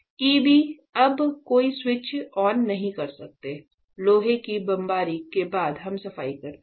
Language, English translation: Hindi, So, this EB you cannot any switch on; after we do the iron bombardment cleaning right